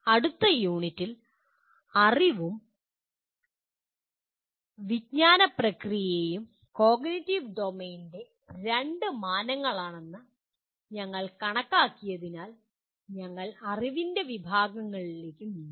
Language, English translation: Malayalam, Now in the next unit, we will be moving on to the categories of knowledge as we considered knowledge and cognitive process are the two dimensions of cognitive domain